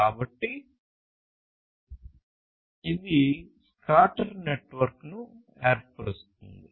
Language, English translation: Telugu, So, this forms something known as the scatter net, ok